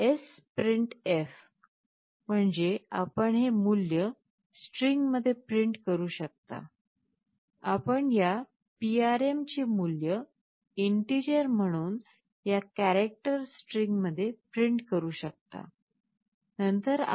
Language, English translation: Marathi, And what we do we sprintf means you can print this value into a string, you are printing the value of this RPM as an integer into this character string